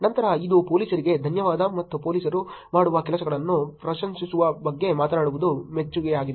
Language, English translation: Kannada, Then it is appreciation which is talking about thanks to police and appreciating the things that police does